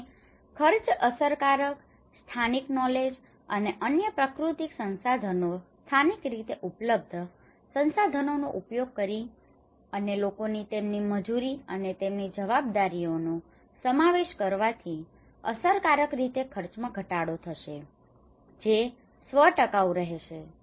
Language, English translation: Gujarati, And cost effective, using local knowledge and other natural resources locally available resources and involving people their labour their roles and responsibilities would effectively reduce the cost that would be self sustainable